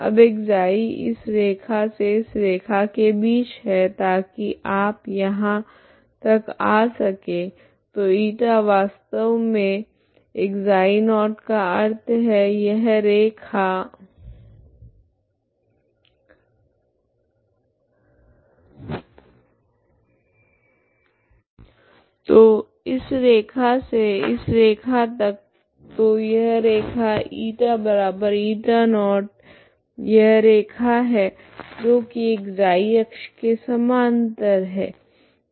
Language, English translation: Hindi, Now ξ is between this line to this line so that you go upto here so η is actually ξ0means this line this line, So this line to this line so this line is η equal to η0so η equal to ξ0is this line, okay that is parallel to the ξ axis